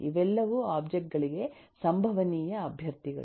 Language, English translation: Kannada, these are all possible candidates for objects